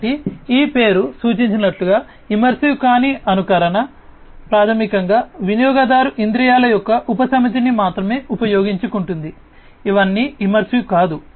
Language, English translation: Telugu, So, this name, as it suggests, non immersive simulation, basically, utilize only a subset of the user senses not all of it, you know it is a non immersive